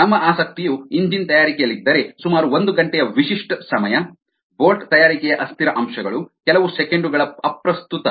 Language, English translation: Kannada, if are interest is in engine making about an hour, characteristic time, characteristic time the unsteady aspects of bolt making a few seconds are irrelevant